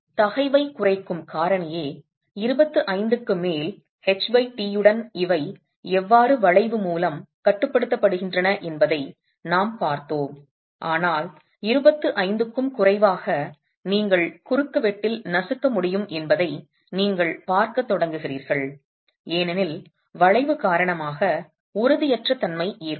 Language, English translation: Tamil, The stress reduction factor itself we have seen how with H by T greater than 25 these are governed by buckling but less than 25 and less than 25 you start seeing that you can have crushing in the cross section that can occur before the instability due to buckling occurs itself